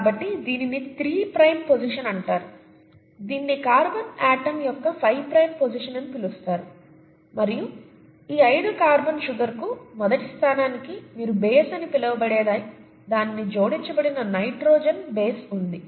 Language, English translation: Telugu, So this is called the three prime position, this is called the five prime position of the carbon atom and to this five carbon sugar, to the first position, you have what is called as a base, a nitrogenous base that is attached to it